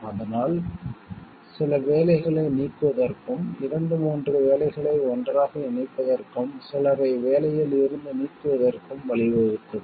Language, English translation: Tamil, So, it has led to elimination of some jobs, clubbing of two three jobs together and it has led to like removal of some people from the job